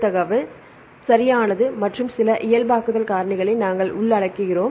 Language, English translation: Tamil, And the probability of specific mutations right and we include some normalization factors